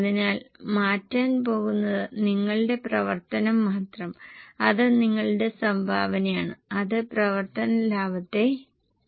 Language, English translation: Malayalam, So, what is going to change is only your contribution which will change the operating profit